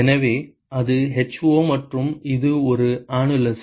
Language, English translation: Tamil, So, that is for ho and it is an annulus